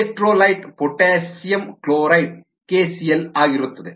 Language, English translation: Kannada, the electrolyte happens to be potassium chloride, k, c, l